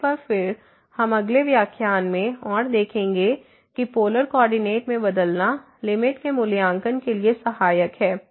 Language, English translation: Hindi, So, one again we will see more in the next lecture that changing to the Polar coordinate is helpful for evaluating the limit